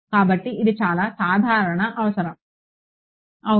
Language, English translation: Telugu, So, that is a very common requirement yeah